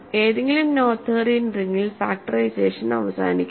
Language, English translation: Malayalam, So, in any Noetherian ring factorization terminates